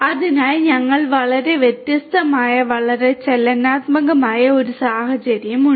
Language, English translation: Malayalam, So, we have a different very highly dynamic kind of scenario